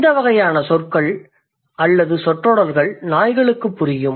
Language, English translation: Tamil, So these kind of words or phrases, the dogs do understand